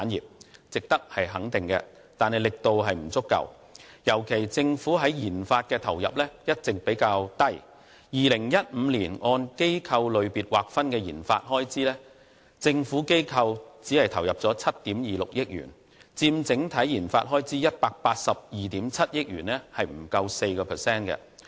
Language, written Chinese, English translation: Cantonese, 這些全部值得肯定，惟力度不足，尤其由於政府在研發方面的投入一直較低 ，2015 年按機構類別劃分的研發開支，政府機構只投入了7億 2,600 萬元，佔整體研發開支182億 7,000 萬元不足 4%。, This is commendable but not vigorous enough . In particular government investment in research and development RD has been minimal . According to statistics on RD expenditure in 2015 by performing sector the Government sector only spent 726 million on RD accounting for less than 4 % of the total RD expenditure of 18.27 billion